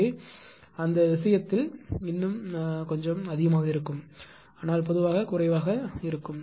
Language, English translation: Tamil, So, in that case it will be it will be little bit more it will inject, but in general case it will be less